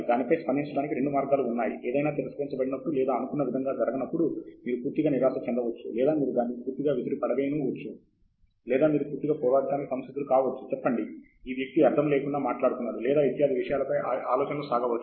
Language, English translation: Telugu, The idea is there are two ways to react to it, when something gets rejected or something does not work, you can get either totally dejected or you can throw it away, or you will get totally combative,say, no this guy is talking nonsense, etcetera